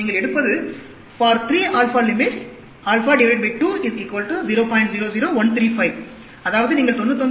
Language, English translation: Tamil, 00135; that is, you get 99